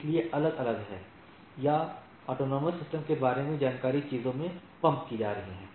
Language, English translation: Hindi, So, there are different summarization or information about the about the autonomous systems are being pumped into the things